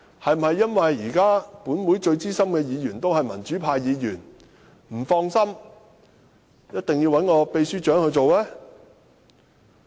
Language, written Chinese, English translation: Cantonese, 是否因為現時本會最資深的議員是民主派議員，建制派不放心而一定要由秘書長擔任呢？, Is that because the most senior Member at present is from the pro - democracy camp and out of a sense of insecurity they insist on asking the Secretary General to chair the meeting?